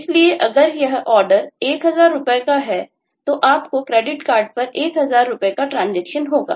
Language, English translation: Hindi, so if this order is for rupees, say, 1000, then you will need to have rupees 1000 transaction on the credit card